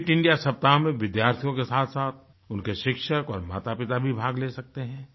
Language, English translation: Hindi, Students as well as their teachers and parents can also participate in the Fit India Week